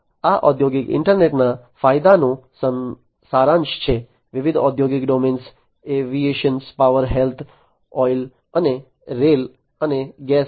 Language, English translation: Gujarati, This is a summary of the advantages of the industrial internet, in different industrial domains aviation power health oil and rail and gas